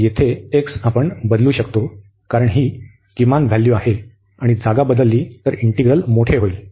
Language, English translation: Marathi, So, here the x we can replace, because this is the minimum value if you replace this one, so that the integral will be the larger one